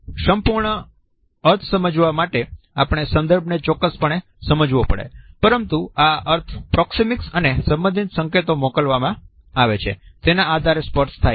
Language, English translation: Gujarati, We definitely have to look at the context in order to ascertain the complete meaning, but this meaning becomes clear on the basis of the proxemics and related signals which are being sent